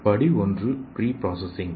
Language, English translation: Tamil, Step 1 is pre processing